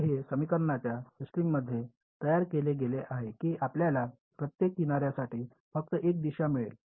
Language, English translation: Marathi, So, it's built into the system of equations that you will get only one direction for each edge